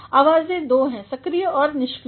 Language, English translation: Hindi, Voices are two: active and passive